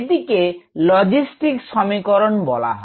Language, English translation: Bengali, the logistic equation